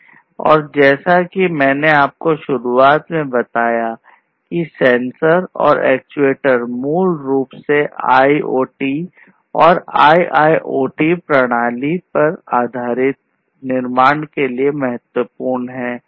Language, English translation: Hindi, And as I told you at the outset sensors are, and, actuators are basically key to the building of IoT and IIoT based systems